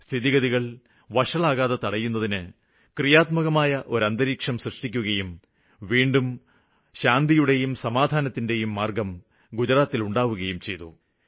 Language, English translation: Malayalam, They played an important role in preventing the situation form worsening further and once again Gujarat started its peaceful march